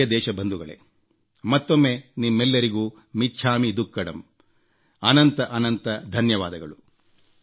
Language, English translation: Kannada, My dear countrymen, once again, I wish you "michchamidukkadm